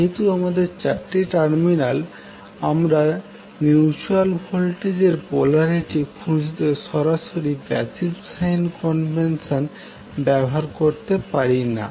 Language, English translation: Bengali, So since we have four terminals we cannot use the passive sign convention directly to find out the polarity of mutual voltage